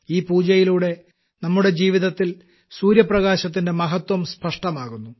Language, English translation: Malayalam, Through this puja the importance of sunlight in our life has been illustrated